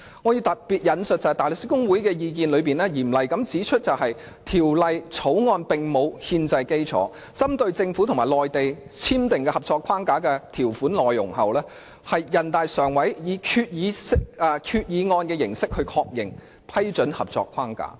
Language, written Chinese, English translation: Cantonese, 我要特別引述大律師公會的意見，當中嚴厲地指出《條例草案》沒有憲制基礎，這是針對政府和內地簽訂的《合作安排》的條款內容，並經全國人民代表大會常務委員會以《決定》形式確認。, I would like to cite the views of the Bar Association in particular which sternly points out that the Bill does not have any constitutional basis and is drafted in the light of the terms of the Co - operation Arrangement signed between the Government and the Mainland and confirmed by the Standing Committee of the National Peoples Congress NPCSC in the form of the Decision